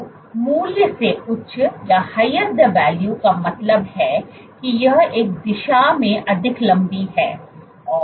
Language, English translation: Hindi, So, the higher the value means it is more elongated in one direction